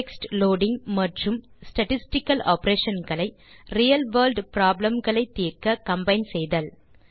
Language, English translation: Tamil, Combine text loading and the statistical operation to solve real world problems